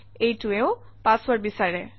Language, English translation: Assamese, And it also wants the password